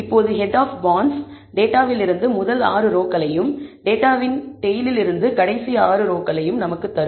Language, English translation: Tamil, Now, head of bonds will give us the first 6 rows from the data and tail of bonds will give us the last 6 rows from the data